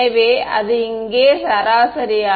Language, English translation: Tamil, So, its going to be the average over here